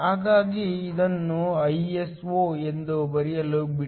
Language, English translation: Kannada, So, let me write this as Iso'